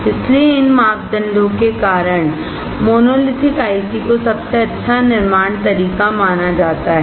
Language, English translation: Hindi, So, because of these parameters, monolithic ICs are considered as best of manufacturing